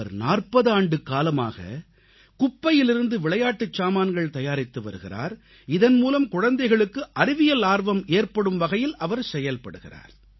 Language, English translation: Tamil, He has been making toys from garbage for over four decades so that children can increase their curiosity towards science